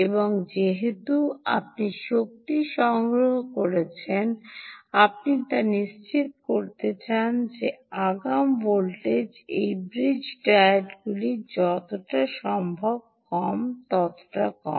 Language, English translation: Bengali, and because you are energy harvesting, you want to ensure that the forward voltage drop of this diode, bridge diodes, ah um, is as low as possible, as small as possible ah um